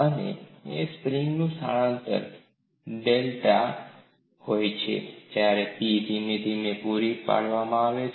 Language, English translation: Gujarati, The deflection of the spring is delta when P is supplied gradually